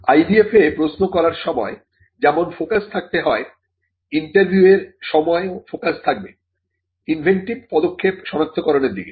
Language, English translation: Bengali, Now, the focus during the interview, as is the focus in asking questions in an IDF is to identify the inventive step